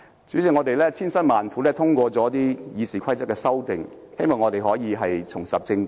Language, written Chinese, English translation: Cantonese, 主席，我們千辛萬苦通過了《議事規則》的修訂，希望立法會可以重拾正軌。, President despite all sorts of difficulties we have passed the amendments to the Rules of Procedure in the hope that the Council can get back on the right track